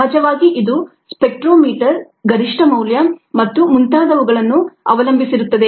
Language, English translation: Kannada, ah, of course this depends on the spectrometer ah, the maximum value and so on